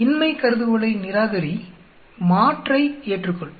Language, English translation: Tamil, Reject null hypothesis, accept alternate